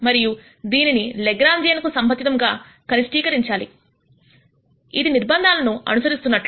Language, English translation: Telugu, And you also minimize this with respect to Lagrangian which will back out the constraint